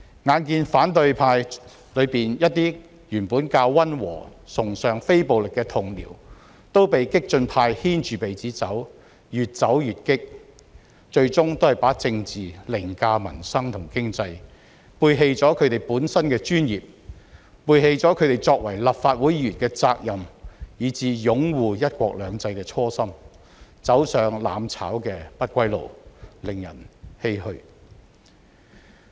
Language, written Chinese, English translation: Cantonese, 眼見反對派中一些原本較溫和、崇尚非暴力的同僚都被激進派牽着鼻子走，越走越烈，最終把政治凌駕民生和經濟，背棄了他們本身的專業，背棄了他們作為立法會議員的責任、以至擁護"一國兩制"的初心，走上"攬炒"的不歸路，令人欷歔。, How dismaying it was to see that some of the relatively moderate and non - violent Members belonging to the opposition camp allowed their radical mates to lead them by the nose and have become more and more violent! . Placing politics above peoples livelihoods and the economy they have eventually turned their backs on their professions their obligations as Members of the Legislative Council and even their initial aspiration of supporting the principle of one country two systems . Instead they chose to be among those seeking mutual destruction and that marked the point of no return